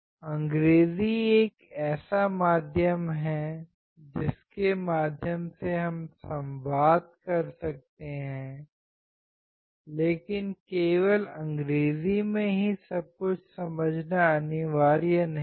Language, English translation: Hindi, English is one medium through which we can communicate, but it is not a mandatory thing to understand everything only in English